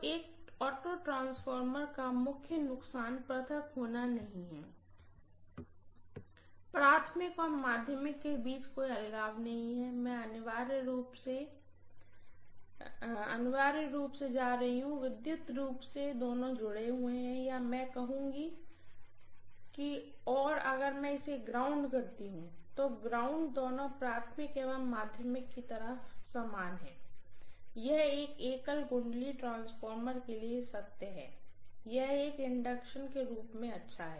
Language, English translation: Hindi, So the major disadvantage of an auto transformer is no isolation, there is no isolation at all between the primary and secondary, I am going to have essentially, electrically both of them are connected or I would say if I call this as ground, the ground is common to both the primary side and secondary side, it is true in any transformer which has only one single winding, it is as good as an inductance, nothing else basically, right